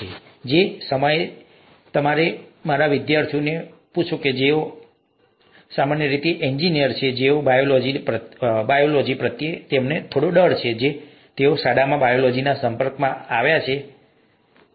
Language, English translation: Gujarati, At the same time, if you ask my students, who are typically engineers, they have a fear for biology, mostly because of the way they have been exposed to biology in school, nothing else